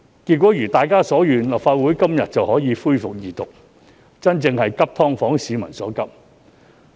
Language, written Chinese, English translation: Cantonese, 結果一如大家所願，立法會今天便可以恢復二讀《條例草案》，真正做到急"劏房"市民所急。, Eventually as what we have wished the Legislative Council resumed the Second Reading of the Bill today thereby truly addressing the pressing needs of SDU tenants